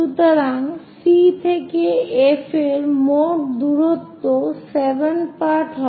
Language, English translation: Bengali, So, total distance C to F will be 7 part